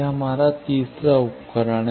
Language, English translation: Hindi, This is our third tool